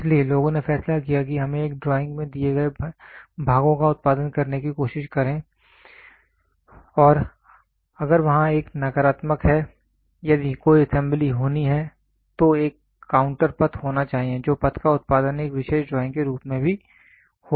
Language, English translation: Hindi, So, then people decided is let us try to produce parts given to a drawing and if there is a negative of at all, if there is an assembly which has to happen then there has to be a counter path that path will also be produced to a particular drawing